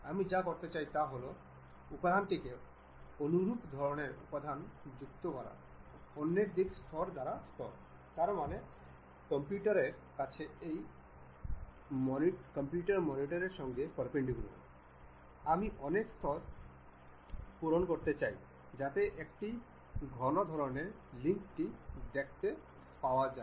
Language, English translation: Bengali, What I want to do is add material the similar kind of material like layer by layer in the other direction; that means, perpendicular to the computer normal to that computer monitor, I would like to fill many layers, so that a thick kind of link I would like to see